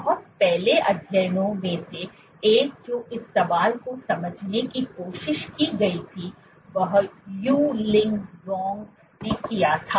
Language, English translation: Hindi, One of the very first studies which was tried attempted to understand this question was done by Yu Li Wang